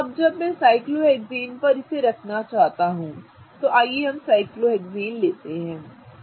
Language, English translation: Hindi, So, now when I want to place them on the cyclohexane, let us take a cyclohexane, right